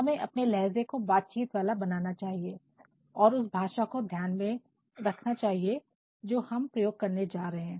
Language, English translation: Hindi, So, what we have to do is, we have to make our tone conversational and also think of the language that we are going to use